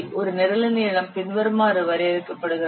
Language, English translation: Tamil, The length of a program is defined as follows